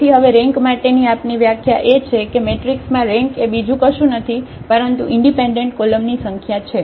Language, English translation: Gujarati, So, now our definition for the rank is that rank is nothing but the number of independent columns in a matrix